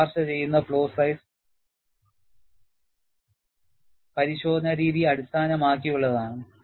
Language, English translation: Malayalam, And the recommended flaw size is based on the inspection method